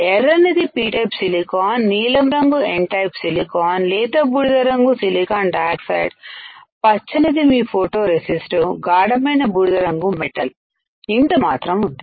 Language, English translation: Telugu, Red one is P type silicon, blue one is N type silicon, light grey is silicon dioxide, green is photoresist, dark grey is metal this much is there